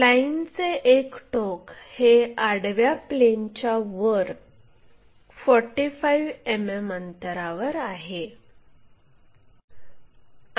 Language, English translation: Marathi, One of the ends of the line is 45 mm above horizontal plane